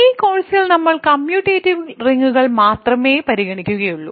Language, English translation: Malayalam, So, in this course we will only consider commutative rings